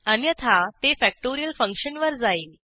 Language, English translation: Marathi, It calls the factorial function